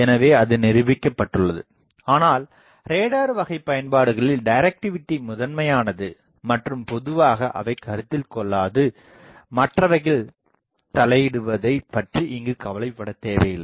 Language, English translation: Tamil, So, that is proven, but in radar type of applications there the directivity is prime thing and generally they do not consider, they do not bother about the interference from others